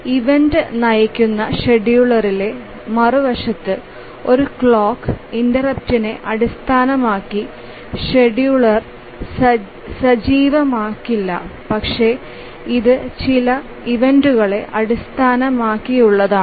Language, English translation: Malayalam, On the other hand in an event driven scheduler, the scheduler does not become active based on a clock interrupt but it is based on certain events